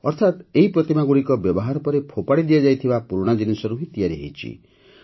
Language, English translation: Odia, That means these statues have been made from used items that have been thrown away as scrap